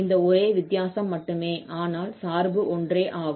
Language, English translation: Tamil, That is the only difference but we have the same function